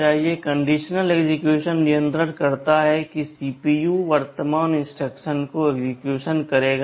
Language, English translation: Hindi, Conditional execution controls whether or not CPU will execute the current instruction